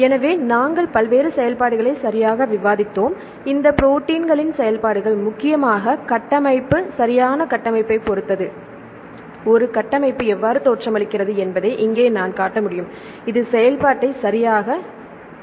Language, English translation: Tamil, So, we discussed various functions right and the functions of these proteins mainly depend on the structure right structure means I can say, here I can show one of the structures right how a structure looks like, this will help to dictate the function